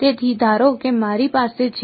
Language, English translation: Gujarati, So, supposing I have